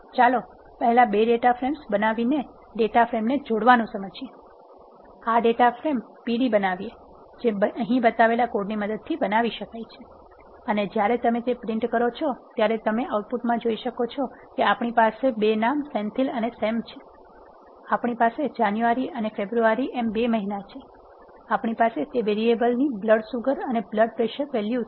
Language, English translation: Gujarati, Let us illustrate joining of data frames by creating 2 data frames first, let us first create this data frame p d, this can be created using the code shown here and when you print that, you can see the output as share we have 2 names Senthil and Sam, we have 2 months Jan and February, we have blood sugar and blood pressure values of those variables